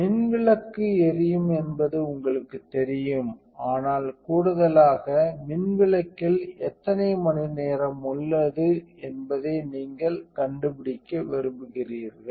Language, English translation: Tamil, So, you know that the light bulb is on, but in addition to that you want to find out how many hours are left on the light bulb